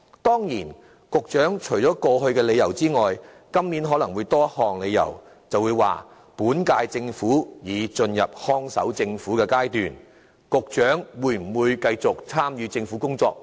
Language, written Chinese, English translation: Cantonese, 當然，除過往提出的理由外，今年局長可能會有多一項理由，說本屆政府已進入看守政府階段，沒有人知道局長會否繼續參與政府的工作。, Of course the Secretary may perhaps provide one more reason in addition to those previously given saying that since the current - term Government has become a guardian government no one knows whether the Secretary himself will continue to engage in government affairs